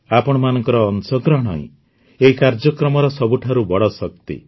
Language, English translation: Odia, Your participation is the greatest strength of this program